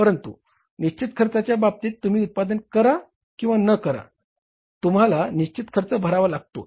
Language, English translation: Marathi, But fixed cost, whether you go for the production, you don't go for the production, fixed cost you have to pay